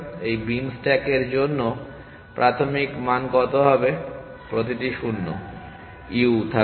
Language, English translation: Bengali, What is the initial value for this beam stacks every value will have 0 comma u